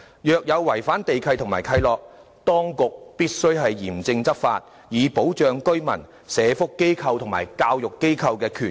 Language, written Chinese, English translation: Cantonese, 若有違反地契或契諾，當局必須嚴正執法，以保障居民、社福及教育機構的權益。, In case of any breach of the land lease or covenant the authorities must strictly enforce the law to protect the rights of residents and social welfare and education organizations